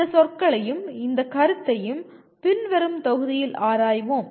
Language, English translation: Tamil, We explore these words and this concept in the following module